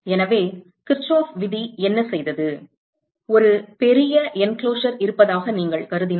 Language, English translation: Tamil, So, what Kirchhoff’s law would do is, supposing you assume that there is a large enclosure